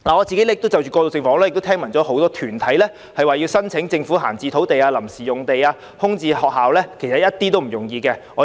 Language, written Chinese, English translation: Cantonese, 就着過渡性房屋，我知道很多團體希望申請政府的閒置土地、臨時用地或空置校舍作此用途，但其實絕不是易事。, About transitional housing I know many organizations would like to apply for idle land temporary sites or vacant school premises of the Government for the purpose but this is never easy